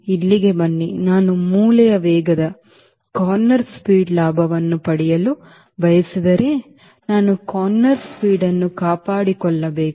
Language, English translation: Kannada, come here: if i want to take advantage of corner speed then i need to maintain the corner speed